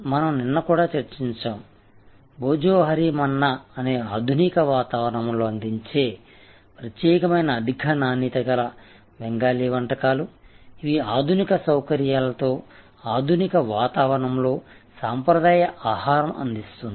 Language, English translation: Telugu, So, we also discussed yesterday, Bhojohori Manna a specialised high quality Bengali cuisine offered in modern ambiance, traditional food in modern ambiance in modern facilities